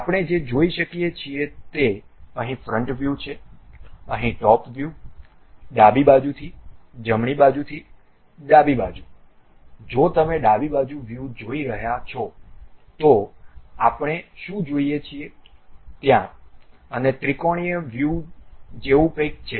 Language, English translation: Gujarati, What we can see is something like front view here, top view here, from left side from right side to left side if you are seeing left side view what we are seeing there, and whatever the trimetric view